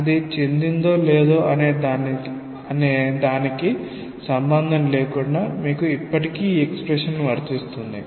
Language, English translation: Telugu, Irrespective of whether it has spilled out or not, you still have this expression applicable